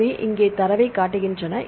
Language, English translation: Tamil, So, here I show the data